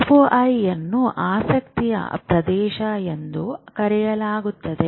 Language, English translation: Kannada, this is called region of interest